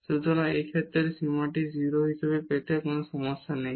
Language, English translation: Bengali, So, in this case there is no problem to get this limit as 0